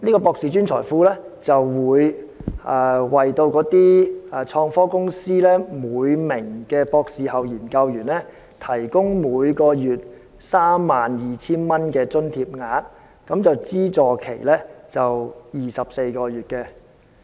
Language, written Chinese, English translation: Cantonese, "博士專才庫"會為創科公司每名博士後研究員提供每月 32,000 元的津貼額，資助期為24個月。, Postdoctoral Hub provides a monthly allowance of 32,000 to each postdoctoral researcher in innovation and technology IT companies for up to 24 months